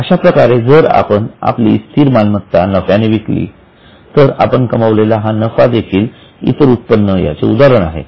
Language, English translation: Marathi, Same way, sometimes if we sell our fixed asset at profit, then the profit which you generate will be an example of other income